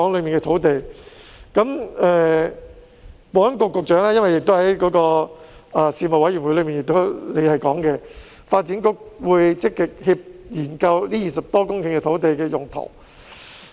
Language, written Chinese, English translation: Cantonese, 保安局局長在事務委員會提過，發展局會積極研究這20多公頃土地的用途。, The Secretary for Security has mentioned in the Panel that the Development Bureau will actively study the use of these 20 - odd hectares of land